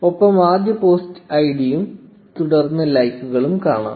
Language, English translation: Malayalam, And you see the post id of the first post followed by the likes